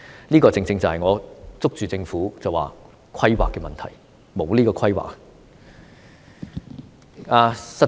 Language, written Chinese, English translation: Cantonese, 這個正正是我指出政府欠缺規劃的問題。, This is exactly the lack of planning problem of the Government that I pointed out earlier